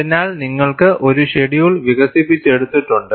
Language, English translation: Malayalam, So, you have a schedule developed